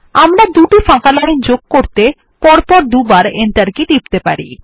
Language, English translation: Bengali, We can press the Enter key twice to add two blank lines